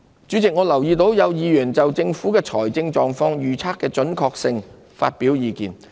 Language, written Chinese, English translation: Cantonese, 主席，我留意到有議員就政府財政狀況預測的準確性發表意見。, President I noted the views expressed by some Members on the accuracy of the Governments projection of its financial position